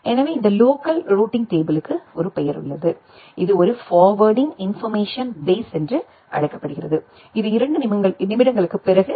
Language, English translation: Tamil, So, this local routing table has a name it is called a forwarding information base which will come after a couple of minutes